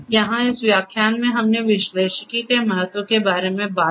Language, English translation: Hindi, Here in this lecture we talked about the importance of analytics